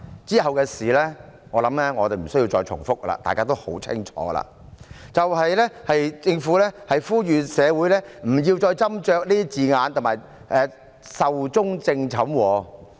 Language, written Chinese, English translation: Cantonese, 往後發生的事，我相信我無須重複，大家也知得十分清楚，便是政府呼籲社會不要再斟酌字眼，並表示《條例草案》已壽終正寢。, I believe I need not repeat what happened afterwards . We all know it very well that is the Government called on the community not to dwell on the wording and stated that the Bill was dead